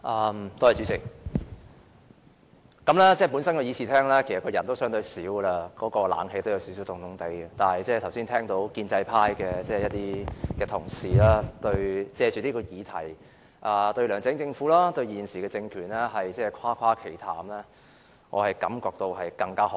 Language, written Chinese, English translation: Cantonese, 本來議事廳的人數已相對少，空調也加添寒意，但剛才聽到一些建制派同事藉此議題，對梁振英政府和現時政權誇誇其談，我更覺心寒。, With the relatively low number of Members in this Chamber the air - conditioning has even added to the chill . Worse still having heard some Members of the pro - establishment camp boasting about the LEUNG Chun - ying administration and the current political regime during their discussion on this topic I have felt a further chill down my spine